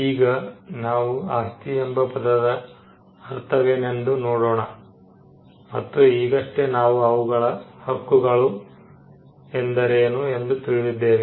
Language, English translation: Kannada, Now, let us look at what we mean by the word property and now we just had a short understanding of what we mean by its rights